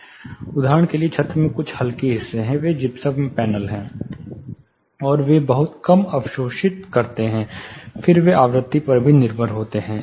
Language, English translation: Hindi, For instance there are certain lighter portions in the ceiling, they are gypsum panels, and they are not much absorbing little bit of absorption, again frequency dependent